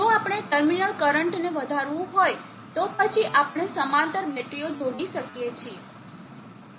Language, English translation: Gujarati, If we want to enhance the terminal current, then we can connect batteries in parallel